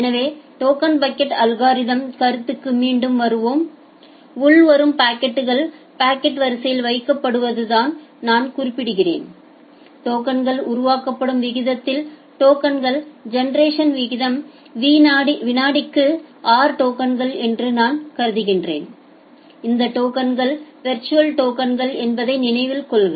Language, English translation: Tamil, So, coming back to this concept of token bucket algorithm so, as I am mentioning that incoming packets are put in the packet queue; say I assume that the token generation rate is r tokens per second at that rate the tokens are getting generated remember that these tokens are the virtual token